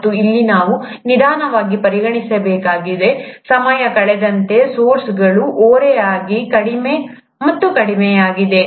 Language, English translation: Kannada, And, this is where we have to consider that slowly, as the time went past, chances are the sources became skewed, lesser and lesser